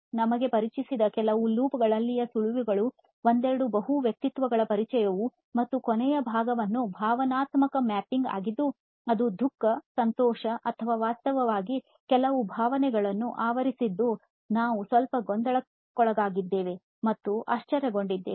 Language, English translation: Kannada, Few tips that introduced to us the loops present of loops, multiple personas we did couple of them and of the last part was the emotional mapping which is sad, happy or in fact we have some confused as well as surprised were some emotions that are covered